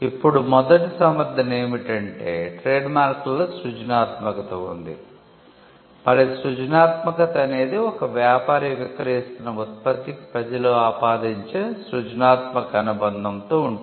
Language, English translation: Telugu, Now, the first justification is that, there is creativity involved in trademarks and the creativity refers to the creative association of what a trader is selling with what the public would attribute to that product